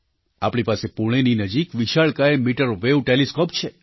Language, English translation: Gujarati, We have a giant meterwave telescope near Pune